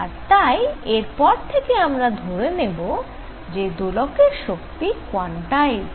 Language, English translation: Bengali, So, from now on we assume that the energy levels of an oscillator are quantized